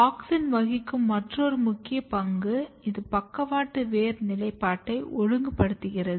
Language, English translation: Tamil, Another important role what auxin plays here, it regulates the positioning of lateral root